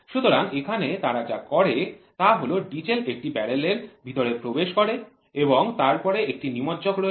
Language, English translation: Bengali, So, here what they do is the diesel enters into a barrel and then there is a plunger